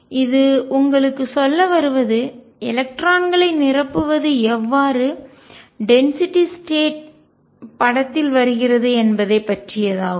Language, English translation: Tamil, This is just to tell you how the filling of electrons how density of states comes into the picture